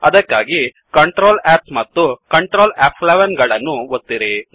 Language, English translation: Kannada, So press Ctrl,S and Ctrl , F11